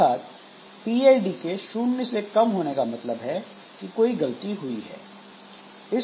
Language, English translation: Hindi, So, if PID less than zero, then some error has occurred